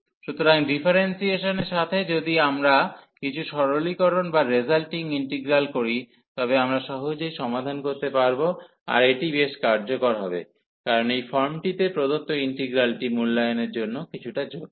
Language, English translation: Bengali, So, with the differentiation if we can see some a simplification or the resulting integral, we can easily solve then this going to be useful, because the integral given in this form is its a little bit complicated to evaluate